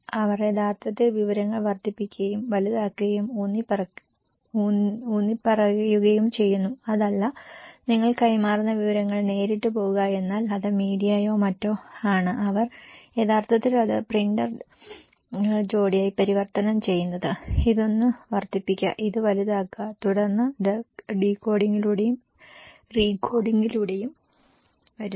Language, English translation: Malayalam, They actually do amplify, magnify and accentuate the informations, it’s not that what information you pass is go directly but it is the media or the other they actually convert this one in printer pair this one, amplify this one, magnify this one, and then it comes through decoding and recoding